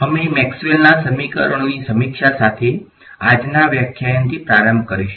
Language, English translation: Gujarati, We will start at today’s lecture with a review of Maxwell’s equations